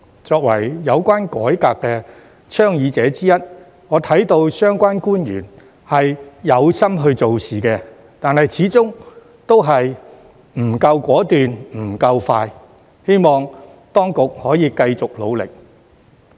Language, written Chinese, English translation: Cantonese, 作為有關改革倡議者之一，我看到相關官員是有心做事的，但始終不夠果斷、不夠快，希望當局可以繼續努力。, As one of the advocates of the reform I see that the officials concerned are committed but all the while they are not decisive and quick enough . I hope that the authorities will carry on with their efforts